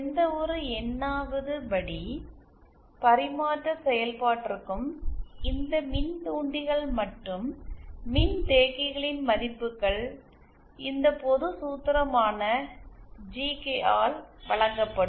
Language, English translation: Tamil, For any Nth order transfer function, the values of these inductors and capacitors will be given by this general formula GK